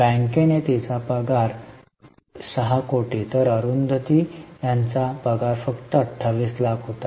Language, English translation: Marathi, Her compensation was 6 crores versus compensation for Arundatiji is only 28 lakhs